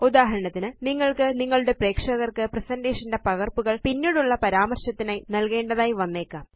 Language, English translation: Malayalam, For example, you may want to give copies of your presentation to your audience for later reference